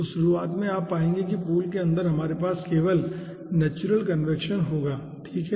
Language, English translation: Hindi, so at the beginning, you will find out, inside the pool we will be having only natural convection